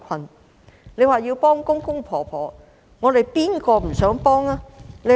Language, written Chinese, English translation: Cantonese, 鄺議員說要幫助公公婆婆，誰不想幫助他們呢？, Mr KWONG said that the Government should help the elderly; who do not want to help them?